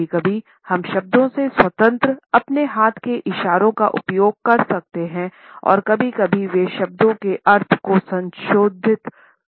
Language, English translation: Hindi, Sometimes we can use our hand gestures independent of words and sometimes they may modify the meaning of words